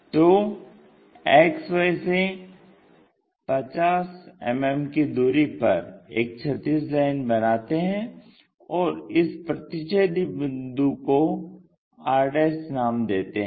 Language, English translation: Hindi, So, at 50 mm draw a horizontal line and let us call this point as r'